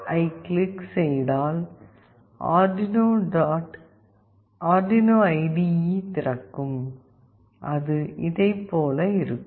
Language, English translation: Tamil, exe, then the arduino IDE will open that looks similar to this